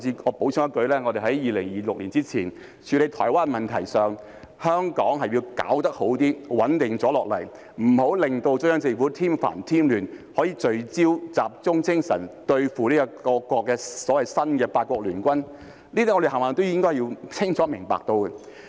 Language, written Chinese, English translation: Cantonese, 我補充一句，我們在2026年之前對台灣問題的處理，香港是要做得好一些，穩定下來，不要為中央政府添煩添亂，能夠聚焦和集中精神對付所謂新的八國聯軍，這些我們全部也是應該清楚明白的。, When we deal with the Taiwan issue before 2026 it is necessary for Hong Kong to do better and to remain stable . We should not cause worries and troubles to the Central Authorities so that the Central Authorities can be focused and concentrated on taking actions against the so - called new eight - nation alliance . All these are what we should clearly understand